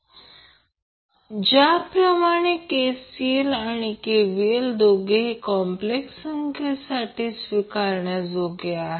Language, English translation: Marathi, Now, since KCL and KVL, both are valid for complex number